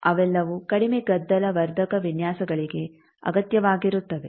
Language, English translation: Kannada, Those are required for low noise amplifier designs